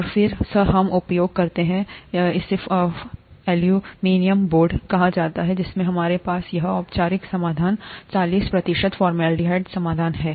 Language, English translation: Hindi, And then, we use what are called aluminum boards, in which we have this formalin solution, forty percent formaldehyde solution